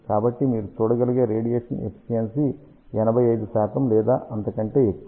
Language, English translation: Telugu, So, radiation efficiency you can see is very high that is about 85 percent or so